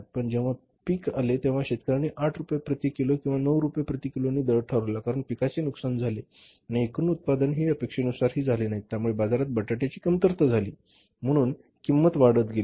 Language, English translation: Marathi, But when the crop came, farmers asked a price say 8 rupees per kage or 9 rupees per kage because the crop was destroyed, the total output was not up to the mark, there is a shortage of the potatoes in the market, so prices have gone up